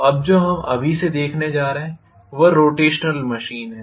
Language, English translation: Hindi, So what we are going to look at now from now on is rotational machines, right